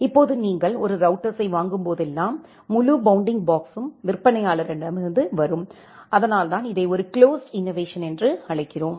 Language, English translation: Tamil, Now whenever you purchase a single router, this entire bounding box that comes from a vendor and that is why, we call it as a closed innovation